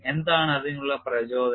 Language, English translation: Malayalam, And what is the motivation